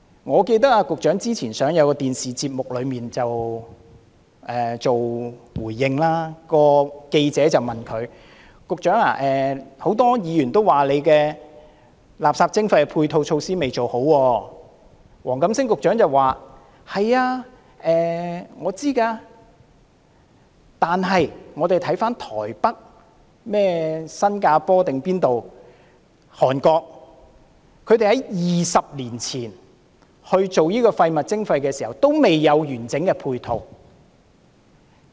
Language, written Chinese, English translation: Cantonese, 我記得局長之前出席一個電視節目，記者提問時說很多議員都說垃圾徵費未有做好配套措施，黃錦星局長便回應說自己都知道，但台北、新加坡等地......韓國在20年前推行垃圾徵費時也未有完整的配套。, In his response to the reporters query about the supporting measures for waste charging which as the reporter claimed many Members considered to be unready the Secretary stated that he was aware of it but then places like Taipei Singapore when Korea introduced waste charging 20 years ago it did not have comprehensive supporting measures either